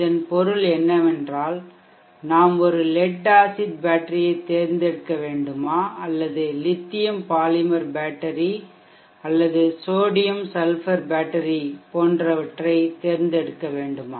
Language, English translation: Tamil, Is that do we need to select a lead acid battery or should we select lithium polymer battery or sodium sulphur battery extra